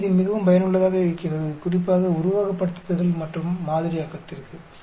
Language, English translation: Tamil, So, this very, very useful especially for simulations and modeling